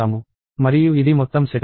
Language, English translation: Telugu, And this is the whole setup